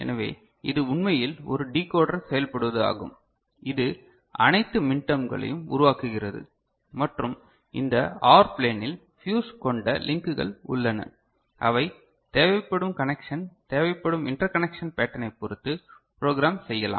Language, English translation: Tamil, So, it is a decoder actually working, generating all the minterms right and in this OR plane right there are fusible links and depending on the connection we want, the interconnection pattern that we want, so this can be programmed